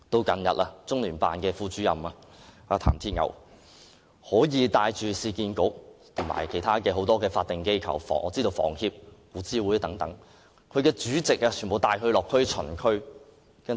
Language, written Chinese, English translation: Cantonese, 近日，中聯辦副主任譚鐵牛更帶領市區重建局和其他多個法定機構，例如香港房屋協會和古物諮詢委員會等的主席落區巡視。, Recently Deputy Director of LOCPG TAN Tieniu has gone further by leading a delegation comprising chairmen of the Urban Renewal Authority and of a number of other statutory bodies such as the Hong Kong Housing Society and the Antiquities Advisory Board to visit the districts